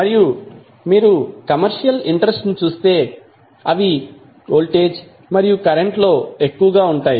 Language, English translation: Telugu, And if you cross verify the the commercial interest they are more into voltage and current